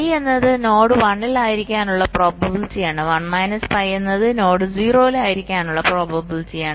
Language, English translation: Malayalam, you see, p i is the probability that the node is at one, and one minus p i is the probability that the node is at zero